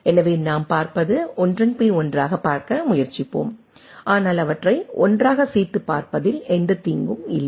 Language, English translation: Tamil, So, what we will see we will try to look one after another, but no harm in looking them together also